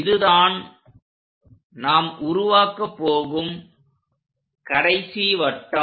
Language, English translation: Tamil, This is the last circle what we are going to have